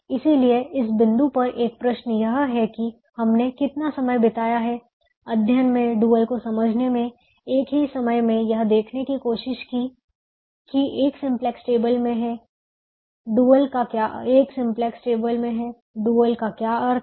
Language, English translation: Hindi, we have spend so much time in studying, in understanding the dual, at the same time trying to see where the duel is in a simplex table, what is the meaning of the dual, and so on